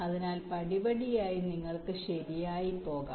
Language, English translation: Malayalam, so step by step you can go right